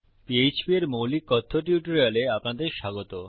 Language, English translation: Bengali, Welcome to this basic php Spoken Tutorial